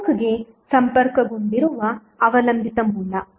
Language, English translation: Kannada, The dependent source which is connected to the network